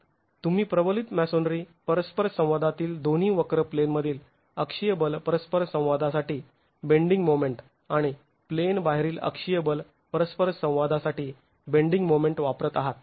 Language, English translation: Marathi, You will be using for the reinforced masonry interaction curves both for in plane bending moment to axial force interaction and out of plane moment to axial force interactions